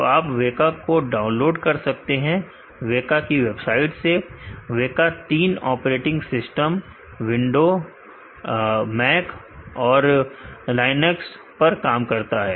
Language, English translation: Hindi, So, you can download the WEKA from WEKA website, WEKA supports three operating systems the windows Mac and Linux